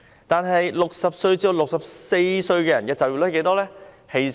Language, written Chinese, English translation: Cantonese, 但是 ，60 至64歲人士的就業率有多少？, But what was the employment rate of people aged between 60 and 64?